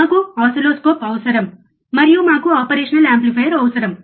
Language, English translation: Telugu, We need oscilloscope, and we need a operational amplifier